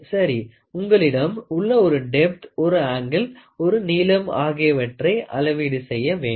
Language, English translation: Tamil, So, you have a depth, you have a depth, you have an angle, you have a length to measure